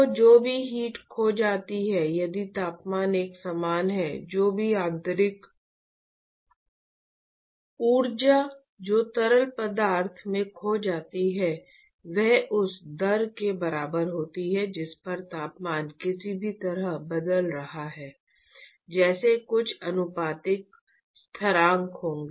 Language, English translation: Hindi, So, the whatever heat that is lost if you are assume that the temperature is uniform, whatever internal energy which is lost to the fluid is equal to the rate at which the temperature is changing somehow, right, there will be some proportionality constant etcetera